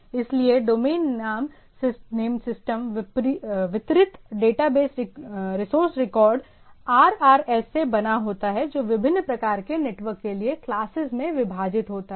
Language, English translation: Hindi, So, domain name systems distributed data base is composed of resource record RRs which are divided into classes for different kind of networks right